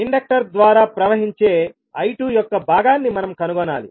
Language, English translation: Telugu, We have to find out the portion of I2 flowing through the Inductor